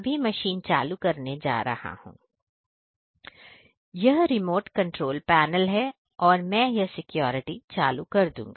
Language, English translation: Hindi, And this is the remote controlled panel I am going to turn up the security